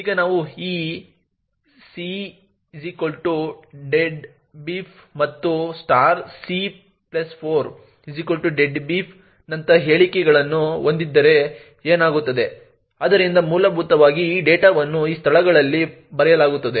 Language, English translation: Kannada, Now what would happen if we have statements such as this *c=deadbeef and *(c+4) = deadbeef, so essentially this data gets written into these locations